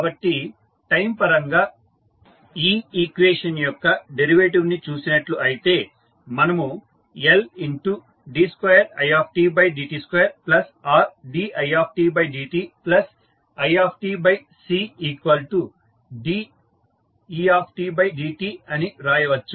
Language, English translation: Telugu, So, if you take the derivative of this equation with respect to time what we can write, we can write L d2i by dt2 plus Rdi by dt plus dec by dt